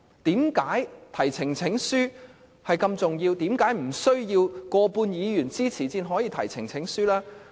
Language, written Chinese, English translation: Cantonese, 提交呈請書這麼重要，為何無須過半議員支持才可以？, The presentation of petitions is an important procedure . Why doesnt it require majority support?